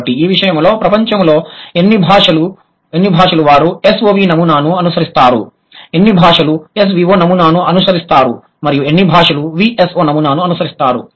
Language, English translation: Telugu, So, how many languages in the world, they follow SOV pattern, how many languages follow SVO pattern and how many languages follow VSO pattern for that matter